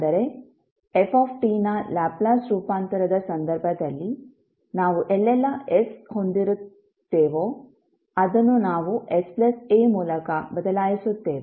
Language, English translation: Kannada, That means that wherever we have s in case of the Laplace transform of f t, we will replace it by s plus a